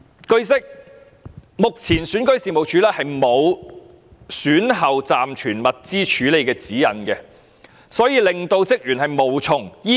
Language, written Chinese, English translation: Cantonese, 據悉，目前選舉事務處沒有選舉後暫存物資的處理指引，所以職員無從依據。, It is learnt that REO currently does not provide any guidelines for staff to follow in dealing with temporary storage of materials after elections